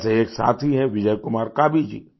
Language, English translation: Hindi, Just as… a friend Bijay Kumar Kabiji